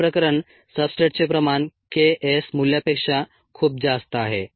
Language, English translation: Marathi, the first case is that the substrate concentration is much, much greater then the k s value